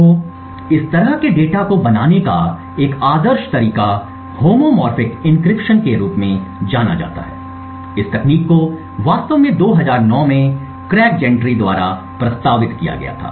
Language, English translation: Hindi, So one ideal way to build such data of obfuscation is by a technique known as Homomorphic Encryption this technique was actually proposed by Craig Gentry in 2009